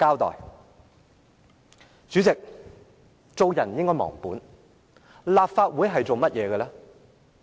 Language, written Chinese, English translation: Cantonese, 代理主席，做人不應忘本，立法會的職責為何？, Deputy President we should not forget who we are and what the duties and responsibilities of the Legislative Council are